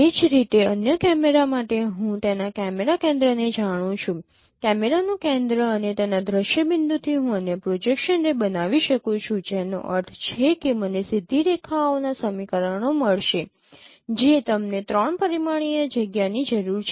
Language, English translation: Gujarati, Similarly for the other camera I know its cause camera center center of the camera and its scene point I can form the other projection ray which means I would get the equations of straight lines in a three dimensional space